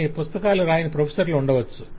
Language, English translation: Telugu, but you can have professors who have not written books